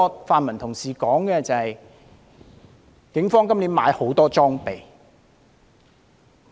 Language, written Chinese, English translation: Cantonese, 泛民同事提出的另一點，是警方今年購買很多裝備。, Another point raised by colleagues from the pan - democratic camp is that the Police have purchased a lot of equipment this year